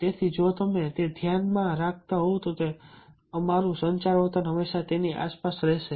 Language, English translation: Gujarati, so if you are having that in mind, then our communication behavior always will be around that